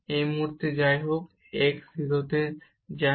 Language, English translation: Bengali, At this point here anyway this x goes to 0